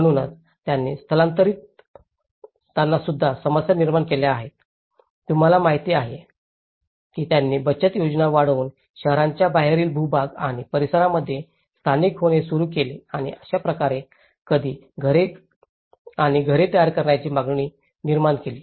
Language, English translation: Marathi, So, they also the migrants have also created problems, you know they started settling down on plots and outskirts of the towns increasing their savings and thus creating a demand for more housing and houses